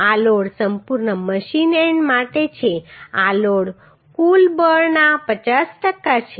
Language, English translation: Gujarati, This load is for complete machine end this load is 50 per cent of the total force